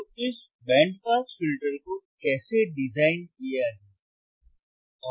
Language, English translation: Hindi, So, how to design this band pass filter